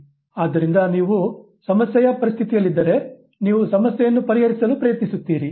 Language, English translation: Kannada, So, you are in a problem situation, you try to solve the problem